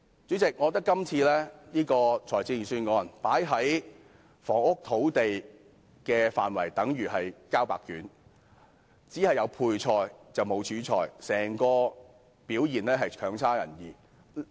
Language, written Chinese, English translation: Cantonese, 主席，我覺得今次預算案在房屋和土地方面的措施如同"交白卷"，只有配菜而沒有主菜，整體表現是差勁的。, Chairman I think that the Budget dishes out practically an empty plate in terms of measures of housing and land there are only sides but no main course . The overall performance is poor